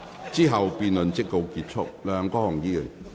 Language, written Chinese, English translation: Cantonese, 之後辯論即告結束。, Thereafter the debate will come to a close